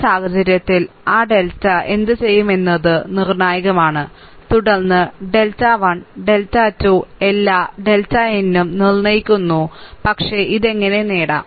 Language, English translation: Malayalam, So, in this case what we will do that delta is the determinant, and then the delta 1 delta 2 all delta n also determinant, but how to obtain this